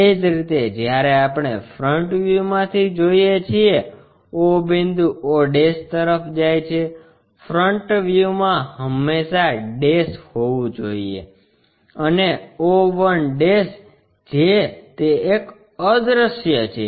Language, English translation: Gujarati, Similarly, when we are looking from front view o point goes to o' in the front view always be having's and o one' which is that one invisible